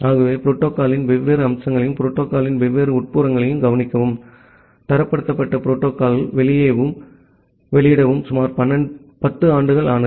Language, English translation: Tamil, So, it took around 10 years to look into the different aspects of the protocol different internals of the protocol and to make it publish as a standardized protocol